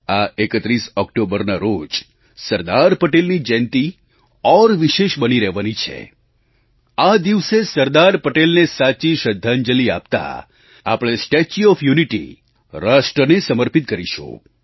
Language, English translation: Gujarati, The 31st of October this year will be special on one more account on this day, we shall dedicate the statue of unity of the nation as a true tribute to Sardar Patel